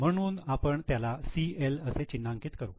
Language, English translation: Marathi, So we will mark it as CL